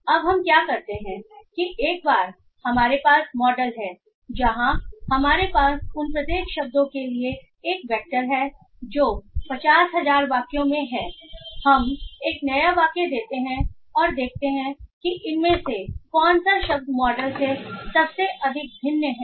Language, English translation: Hindi, So now what we do is that we once we have the model where we have a vector for each of those words which are there in those 50 50 thousand sentences what we do is that we give a new sentence and see which of these words are most dissimilar to that in the model so we can find that kitchen is somehow not present in the word